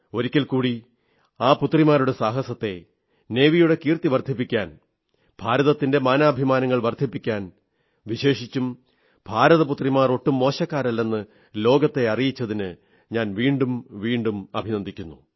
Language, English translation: Malayalam, Once again, I congratulate these daughters and their spirit of adventure for bringing laurels to the country, for raising the glory of the Navy and significantly so, for conveying to the world that India's daughters are no less